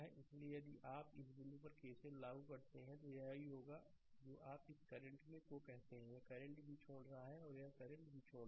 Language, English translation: Hindi, So, if you apply KCL at this point it will be your ah your what you call this current is also leaving this current is also leaving this current is also leaving the node